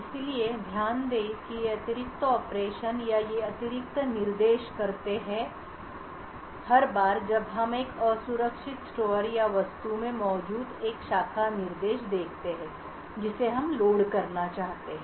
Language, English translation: Hindi, So, note that these extra operations or these extra instructions are done every time we see an unsafe store or a branch instruction present in the object that we want to load